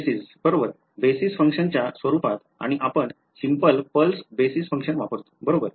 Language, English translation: Marathi, Basis right in terms of basis function and we use a simple pulse basis function right